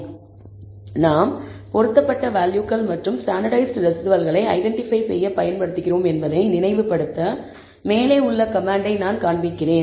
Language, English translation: Tamil, So, I am displaying the command above to remind, you of the fact that we are using fitted values and standardized residuals to identify